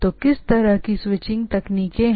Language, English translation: Hindi, So, what sort of switching techniques are there